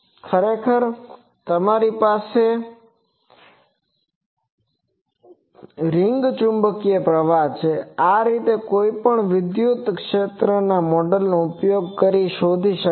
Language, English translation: Gujarati, Actually you have a ring magnetic current thus, the electric field required can be found using any of these models